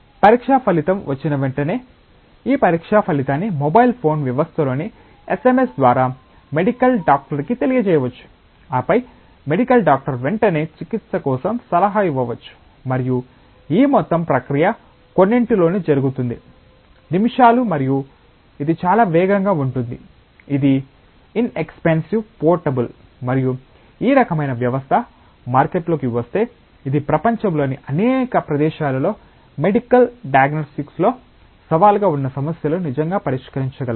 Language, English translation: Telugu, And then once the test result comes immediately this test result can be conveyed to a medical doctor may be through SMS in the mobile phone system, and then the medical doctor can immediately advise for a treatment, and this entire process can take place within a few minutes and so it is very rapid, it is inexpensive it is portable and if this kind of system comes into the market, it can really solve some of the challenging problems in a medical diagnostic in many places in the world